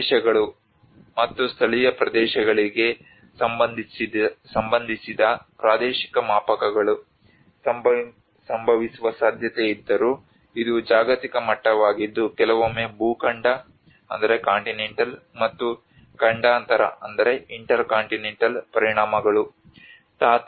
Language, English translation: Kannada, Whereas the spatial scales respective to regions and localities prone to occur, well it is a global scale sometimes is a continental and intercontinental impacts